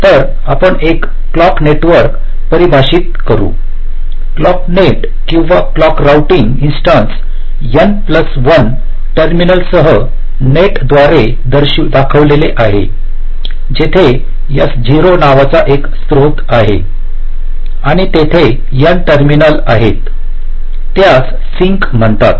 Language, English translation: Marathi, so we define a clock network, a clock net or a clock routing ins[tance] instance as represented by a net with n plus one terminals, where there is one source called s zero and there are n terminals, s called sinks